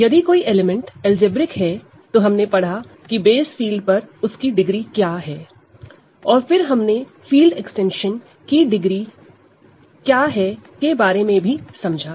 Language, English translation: Hindi, If an element is algebraic, we learned what its degree over the base field is; we also learned what the degree of a field extension is